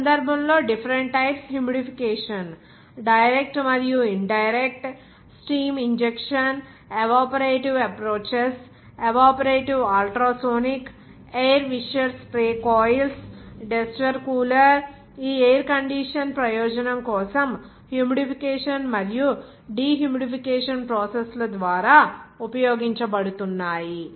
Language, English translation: Telugu, In this case, the different types of humidification are: direct and indirect steam injection, evaporative approaches, evaporative ultrasonic, air wisher sprayed coils, desert cooler are being used for this air condition purpose by humidification and dehumidification process